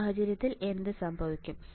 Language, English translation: Malayalam, And in this case what will happen